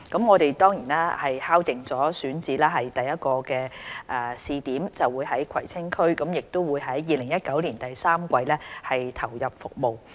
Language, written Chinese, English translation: Cantonese, 我們已敲定首個位於葵青區試點的選址，大約會於2019年第三季投入服務。, We have identified the location of the first pilot site in the Kwai Tsing District and the service will be put in place in the third quarter of 2019